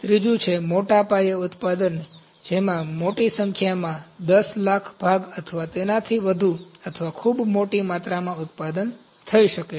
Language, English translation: Gujarati, Third is mass production, in which a large number may be 10 lakh Pieces or more than that or very large quantity is produced